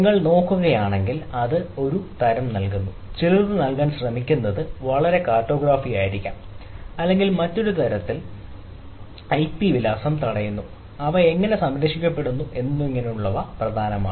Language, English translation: Malayalam, so in, if you look at it gives some sort of, it tries to give in some ah may be very ah, grossly, some cartography of, or in other sense that the ip address blocks and etcetera, how they are spared and so on and so forth